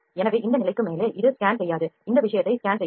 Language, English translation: Tamil, So, above this level it will not scan this thing it will not scan